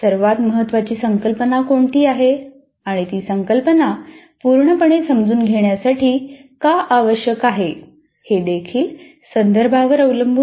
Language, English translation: Marathi, There is also in the context what is the most important concept and what is required to fully understand that concept that depends on the context